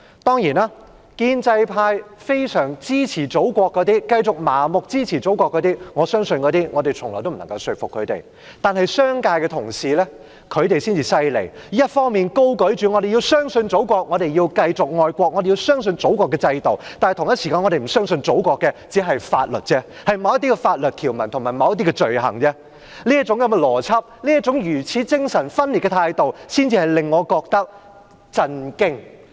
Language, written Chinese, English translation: Cantonese, 當然，對於那些非常支持祖國的建制派，我相信我們從來不能說服他們；但商界的同事真厲害，一方面高舉着"我們要相信祖國，我們要繼續愛國，我們要相信祖國的制度"，但同時間又不相信祖國的法律——關乎某些法律條文及某些罪行類別——這種邏輯和如此精神分裂的態度，才令我覺得震驚。, Of course I do not think we can ever convince those in the pro - establishment camp who strongly support the Motherland; colleagues from the business sector however are really remarkable . On the one hand they uphold the banner that we should trust the Motherland we should continue to love the Motherland and we should trust the Motherlands system; yet on the other hand they do not trust the Motherlands laws regarding certain provisions and certain items of offences . I am really shocked by such logic and schizophrenic attitude